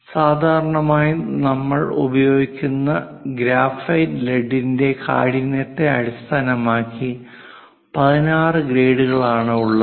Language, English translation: Malayalam, Usually, 16 grades based on the hardness of that graphite lead we will use